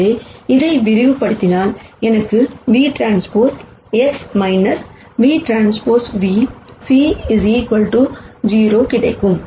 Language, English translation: Tamil, So, if I expand this I will get v transpose X minus v transpose v c equals 0